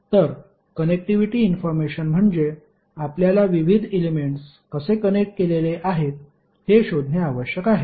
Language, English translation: Marathi, So connectivity information means you need to find out how the various elements are connected